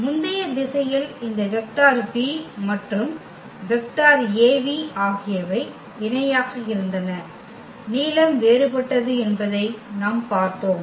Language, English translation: Tamil, This is what we have seen in previous example that this vector v and the vector Av they were just the parallel, the length was different